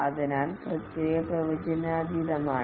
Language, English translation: Malayalam, Therefore, the process is unpredictable